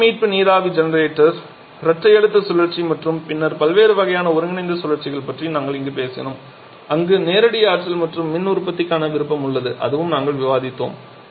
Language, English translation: Tamil, We talked today about the heat recovery steam generator the dual pressure cycle and then different types of combined cycles where we have the option of direct electricity and power production that also we have discussed